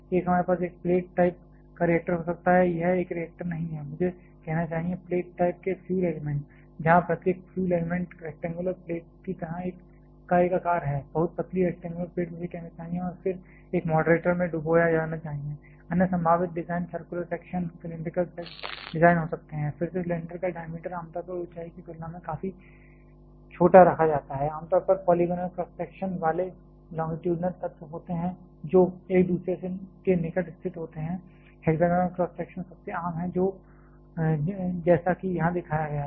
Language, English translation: Hindi, One we can have a plate type of reactor; that is a not reactor I should say plate types of fuel elements, where every fuel element is a shape like rectangular plate, very thin rectangular plate I should say and then immersed in a moderator, other possible design can be the of circular section, cylindrical design again the diameter of cylinder generally is kept quite small compare to it is height, there are generally longitudinal elements with polygonal cross sections which are arranged adjacent to each other hexagonal cross section is the most common one just like shown here